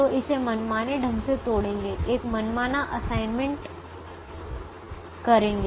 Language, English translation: Hindi, so break it arbitrarily and make an arbitrary assignment